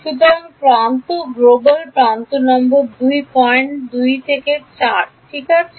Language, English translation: Bengali, So, edge global edge number 5 points from 2 to 4 right